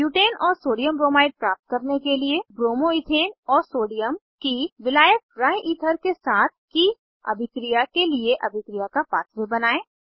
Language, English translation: Hindi, Create a reaction pathway for the reaction of Bromo Ethane and Sodium with solvent Dryether to get Butane amp Sodiumbromide